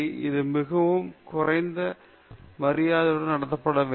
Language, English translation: Tamil, It must be treated with great respect